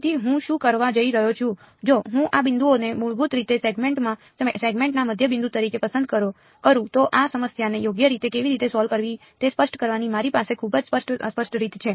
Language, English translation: Gujarati, So, what I am going to do is if I choose these points basically to be the midpoints of the segments, then I have a very clear unambiguous way of specifying how to solve this problem right